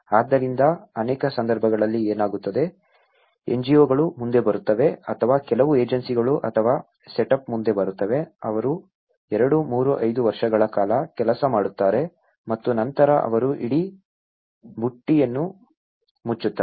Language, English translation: Kannada, So, what happens is many at cases, the NGOs come forward or some agencies or a setup will come forward, they work for 2, 3, 5 years and then, they close the whole basket